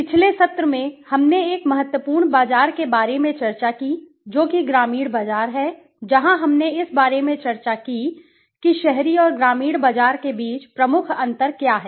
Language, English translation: Hindi, In the last session, we discussed about one of important market that is the rural market where we discussed about what are the major differences between the urban and the rural market